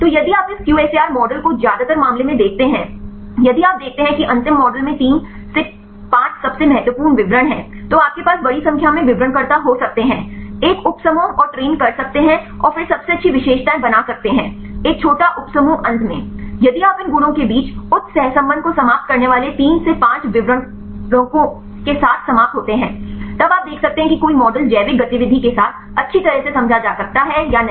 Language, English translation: Hindi, So, if you look into this QSAR models in most of the case if you see the final model contains the most important 3 to 5 descriptors, you can have a large number of descriptors, make a subsets and train then again take the best features make a small subset; finally, if you end up with the 3 to 5 descriptors eliminating with high correlation among these properties; then you can see whether a model can explained well with the biological activity